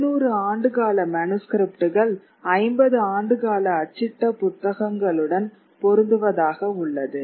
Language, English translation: Tamil, So, 7, 700 years of manuscript writing matches 50 years of printing